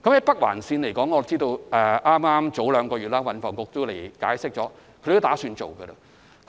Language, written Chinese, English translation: Cantonese, 北環綫方面，我知道運房局官員兩個月前已向議員解釋當局準備興建。, As regards the Northern Link I know THB officers informed Members of the Governments decision to build the Link two months ago